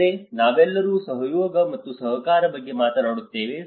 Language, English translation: Kannada, Also, we all talk about the collaboration and cooperation